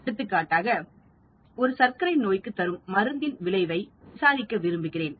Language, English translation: Tamil, For example, I want to investigate effect of an antidiabetic drug